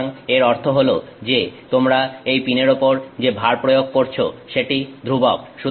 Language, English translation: Bengali, So, which means that load that you are putting on that pin is constant